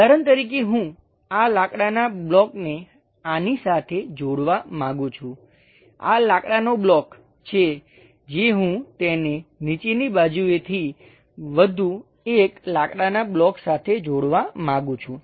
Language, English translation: Gujarati, For example, I would like to connect this wooden block with this is the wooden block, which I would like to really connect it with bottom side one more wooden block